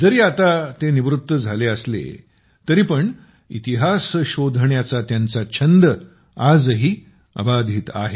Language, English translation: Marathi, Though he is now retired, his passion to explore the history of Bengaluru is still alive